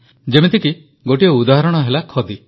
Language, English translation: Odia, One such example is Khadi